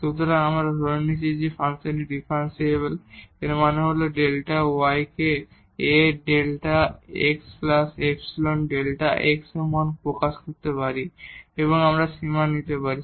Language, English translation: Bengali, So, we have assumed that the function is differentiable; that means, we can express delta y is equal to A delta x plus epsilon delta x and now we can take the limit